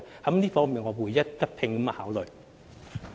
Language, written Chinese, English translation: Cantonese, 這方面我會一併考慮。, I will also give thoughts to this